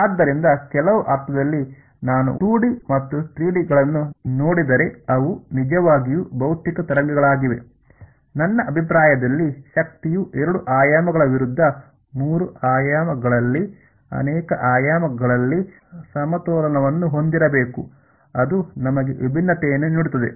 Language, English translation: Kannada, So, in some sense is if I look at 2 D and 3 D because they are truly the physical waves, it is in my opinion the where energy has to be balanced in multiple dimensions two versus three that is what is giving us different form